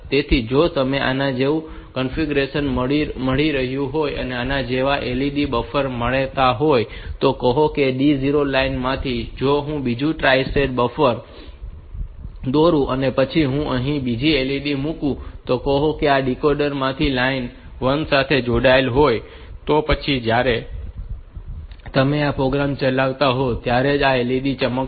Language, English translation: Gujarati, So, if you have got another such configuration, another such a LED buffer like this say from the D 0 line itself, if I just draw another tri state buffer and then I put another LED here and this is connected to say the line 1 from the decoder then when you execute this program only this LED will glow